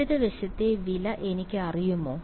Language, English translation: Malayalam, Do I know the value of the left hand side